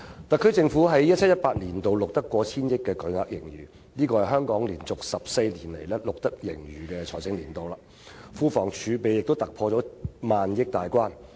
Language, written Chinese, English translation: Cantonese, 特區政府在 2017-2018 年度錄得過千億元的巨額盈餘，是香港連續14個錄得盈餘的財政年度，庫房儲備亦突破萬億元大關。, The SAR Government has recorded a huge surplus of over 100 billion for 2017 - 2018 which is the 14 consecutive financial year for which Hong Kong has seen a surplus and the fiscal reserves have passed the 1 trillion mark